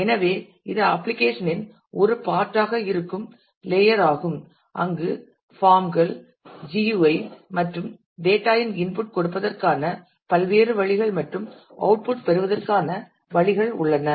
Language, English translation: Tamil, So, it is the layer where it is the part of the application where there are forms GUIs and different ways to input as well as get output of the data